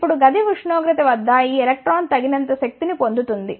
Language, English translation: Telugu, Now, at the room temperature this electron gains the sufficient energy